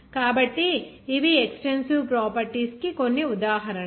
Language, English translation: Telugu, So, these are some examples of extensive properties